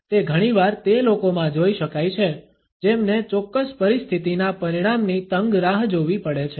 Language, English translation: Gujarati, It can often be observed in those people who have to tensely await the outcome of a particular situation